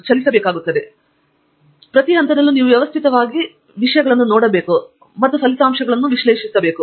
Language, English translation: Kannada, However, at each stage you have to do things systematically and analyze the results that come out of it